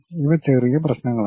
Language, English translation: Malayalam, These are the minor issues